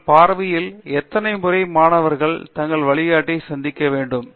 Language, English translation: Tamil, In your view, you know, how often should students be meeting their guide adviser